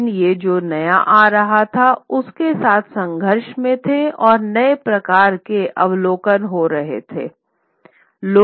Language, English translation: Hindi, But these were coming into conflict with what was the new knowledge that was coming in and the new kinds of observation that were happening